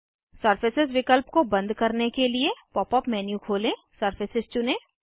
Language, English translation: Hindi, To turn off the surface option, open the Pop up menu, choose Surfaces